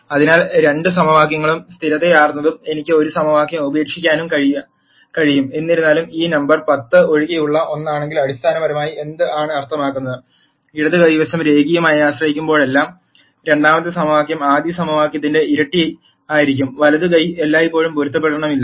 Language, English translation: Malayalam, So, both the equations became consistent and I could drop one equation ; however, if this number was anything other than 10 then what it basically means is, that while the left hand side will be linearly dependent where the second equation will be twice the first equation the right hand side will always be inconsistent